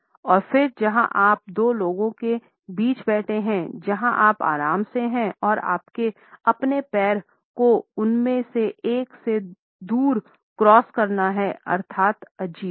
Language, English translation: Hindi, And then there is the issue where you are sitting between two people that you are comfortable with and you have to cross your leg away from one of them; that is awkward